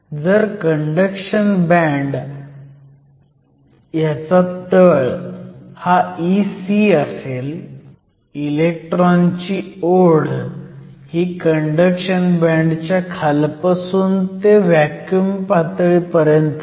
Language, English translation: Marathi, So, if the bottom of the conduction band is E c, electron affinity is from bottom of the conduction band to the vacuum level